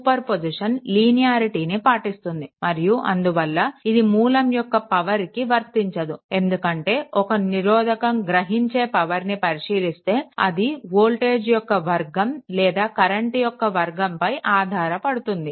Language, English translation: Telugu, Superposition is best on linearity and the and this reason it is not applicable to the effect on power due to the source, because the power observed by resistor depends on the square of the voltage or the square of the current